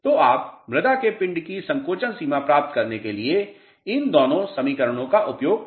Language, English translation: Hindi, So, you can use both the equations to get shrinkage limit of the soil mass